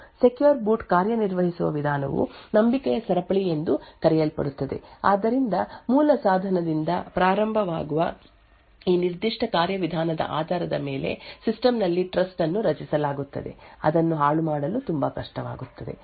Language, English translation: Kannada, The way secure boot works is by something known as a chain of trust so starting from the root device there is a trust created in the system based on this particular mechanism it becomes very difficult to tamper with